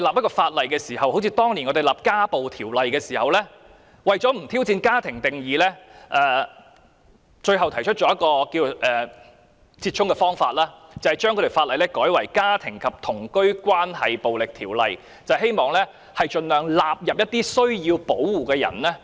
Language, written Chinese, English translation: Cantonese, 我們當年制定《家庭暴力條例》時，為了不挑戰"家庭"的定義，最後採取折衷方法，把法例易名為《家庭及同居關係暴力條例》，希望盡量涵蓋需要保護的人。, In the course of amending the Domestic Violence Ordinance in order not to challenge the definition of family the Government had made a compromise by renaming the Ordinance as the Domestic and Cohabitation Relationships Violence Ordinance so that the scope of the Ordinance could be extended to protect more people in need